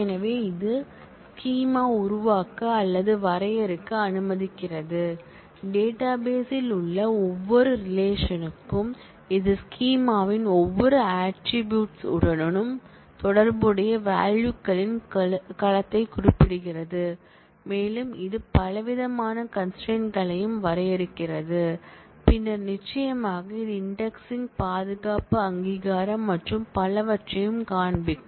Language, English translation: Tamil, So, it allows for the creation or definition of the schema, for each relation that we have in the database it specifies the domain of values associated with each attribute of the schema and it also defines a variety of integrity constraints, later in the course we will see that, it also has to specify other related information like indexing, security authorization, physical storage and so on